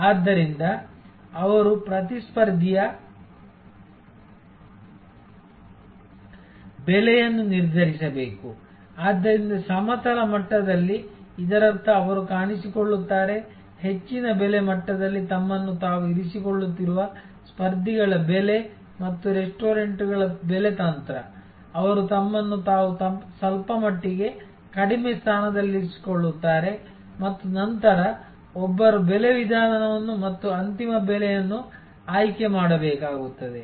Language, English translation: Kannada, So, they have to therefore determine the pricing of competitor, so at the horizontal level; that means they appears, pricing of competitors who are positioning themselves at a higher price level and pricing strategy of restaurants, who are actually positioning themselves a little down on the scale and then, one has to select a pricing method and selected final price